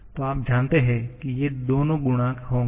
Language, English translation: Hindi, So, you know that these two will be the coefficients